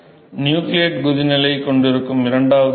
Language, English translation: Tamil, So, the second stage where you have nucleate boiling nucleate boiling